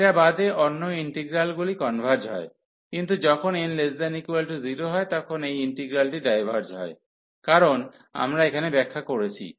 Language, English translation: Bengali, So, in those cases other than this one that integral converges, but when n is less than equal to 0, this integral diverges because of this reason, which we have explained here